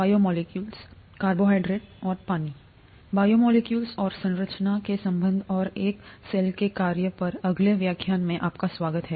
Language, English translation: Hindi, Welcome to the next lecture on “Biomolecules and the relationship to the structure and function of a cell